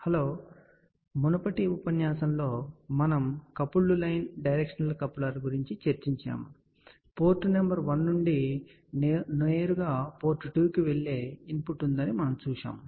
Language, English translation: Telugu, Hello, in the previous lecture we are talked about Coupled Line Directional Coupler, so where we had seen that there is a input from port number 1 which directly goes to the port 2